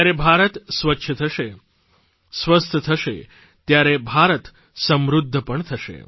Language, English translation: Gujarati, A clean and healthy India will spell a prosperous India also